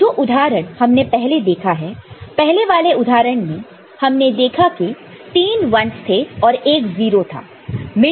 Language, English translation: Hindi, So, the examples we have seen in the first example, we had seen that three ones were there and one zero was there